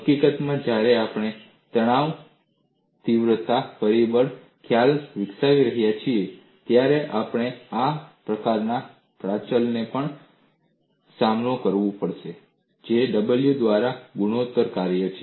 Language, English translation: Gujarati, In fact, when we develop the stress intensity factor concept, we will also involve this kind of a parameter, which is a function of the a by w ratio